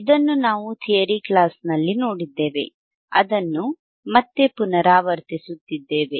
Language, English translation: Kannada, We have seen this in theory class we are again repeating it